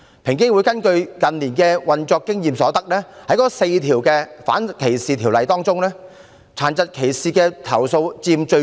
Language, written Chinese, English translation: Cantonese, 平機會根據近年運作經驗所得，在4項反歧視條例中，殘疾歧視所佔比例最高。, According to the operational experience of EOC in recent years complaints of disability discrimination represent the highest proportion of complaints under the four anti - discrimination ordinances